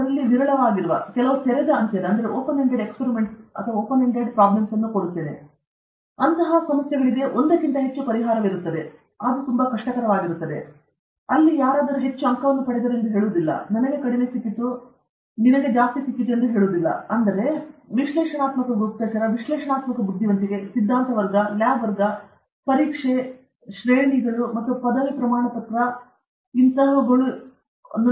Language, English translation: Kannada, We now rarely we give problems in which… rarely we give problems which are open ended, where there can be more than one solution; then it becomes difficult, then somebody will say he got more marks, I got less, there are lots of problems okay; therefore, often this analytical intelligence, analytic intelligence, is theory class, lab class, exam, grades, and degree certificate okay